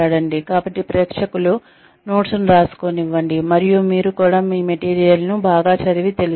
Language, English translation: Telugu, So, let the audience take down notes, and you also read from your, I mean, know your material well